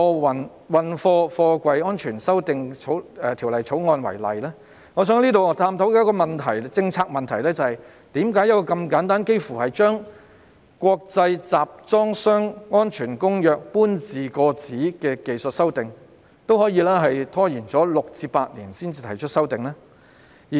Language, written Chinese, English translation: Cantonese, 我想以我們現正討論的《條例草案》為例，探討一個關乎政策的問題，就是為何把《國際集裝箱安全公約》搬字過紙這般簡單的技術性修訂，也可以拖延6年至8年才作出呢？, I would like to take the Bill under discussion as an example to explore a policy issue that is why the introduction of technical amendments which is as simple as transcribing the amendments in the International Convention for Safe Containers into local legislation has been delayed for as long as six to eight years?